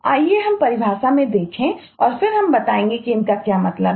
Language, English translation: Hindi, let us look into the eh definition and then we will explain what they mean